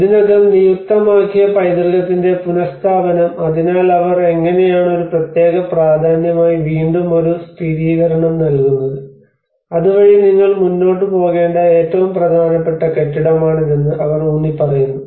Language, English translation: Malayalam, And also the reaffirmation of already designated heritage so how they are giving a reaffirmation as a special importance on it again so that they emphasise that this is the most important building you need to keep that on the move as well